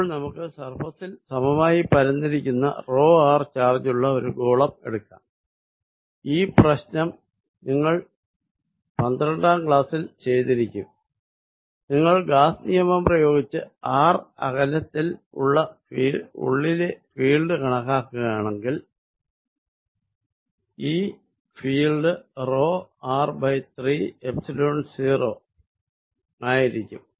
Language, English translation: Malayalam, So, let us take a sphere with uniform charge density rho r and this problem you have solved in your 12th grade, if you apply Gauss’s law and calculate the field inside at a distance r this field comes out to be rho r by 3 Epsilon naught